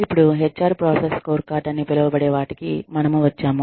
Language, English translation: Telugu, Now, we come to the HR process, human resources process scorecard